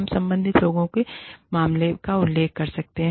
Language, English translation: Hindi, We can refer the matters, to the concerned people